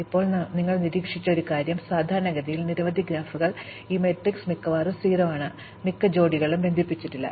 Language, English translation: Malayalam, Now, one thing we observed is that, typically in many graphs, this matrix is largely 0, most pairs are not connected